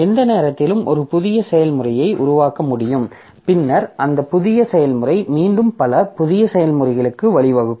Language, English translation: Tamil, So, any process at any point of time, so it can create a new process and then that new process can again give rise to a number of new processes